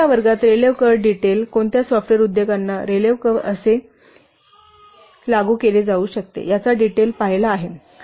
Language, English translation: Marathi, We have seen in this class the details of Raleh curve, how Rale Curb can be applied to what software industries